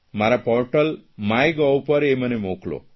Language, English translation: Gujarati, Send them on my portal 'My Gov"